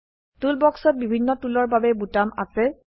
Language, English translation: Assamese, Toolbox contains buttons for different tools